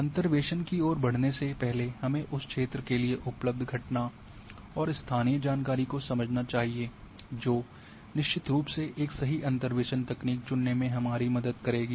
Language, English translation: Hindi, Before we go for interpolation we must understand that phenomenon one and local information if available for that area that would definitely help us to choose a right interpolation technique